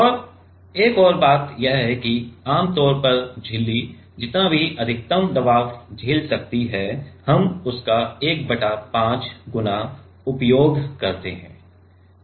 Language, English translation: Hindi, And another thing is usually whatever is the maximum pressure the membrane withstand we use 1 by 5 times of that